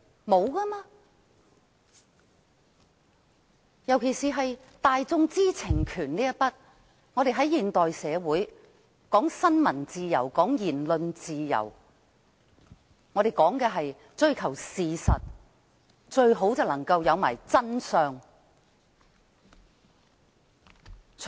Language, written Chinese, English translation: Cantonese, 特別是就大眾知情權來說，在現代社會中，我們講求新聞自由和言論自由，我們說的是追求事實，最好便是能夠得到真相。, Particularly from the angle of the publics right to know in a modern society we attach importance to freedom of the press and freedom of speech and we emphasize finding out the facts and even better the truth